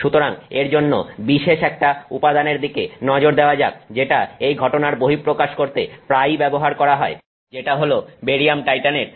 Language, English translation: Bengali, So, for that let's look at a typical material that is often used to highlight this phenomenon which is barium titanate